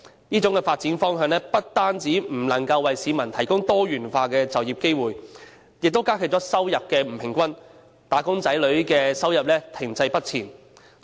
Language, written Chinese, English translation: Cantonese, 這種發展方向不單不能為市民提供多元化的就業機會，亦加劇了收入不均，"打工仔女"的收入停滯不前的情況。, This development trend cannot provide diversified job opportunities and in addition it has also aggravated income disparity and added to the income stagnation of employees